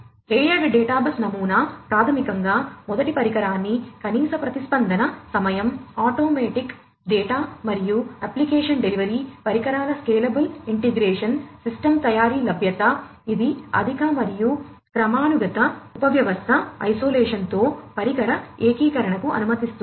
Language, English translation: Telugu, So, layered databus pattern basically allows first device to device integration with minimum response time, automatic data and application delivery, scalable integration of devices, availability of the system making, it higher and hierarchical subsystem isolation